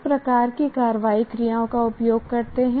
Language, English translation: Hindi, What kind of action verbs do you use